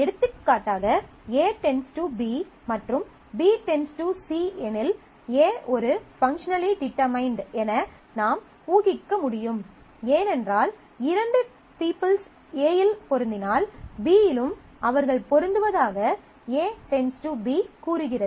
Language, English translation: Tamil, For example, if A functionally determines B and B functionally determines C, then we can infer that A functionally determined because if two peoples match on, A determines B says that they match on B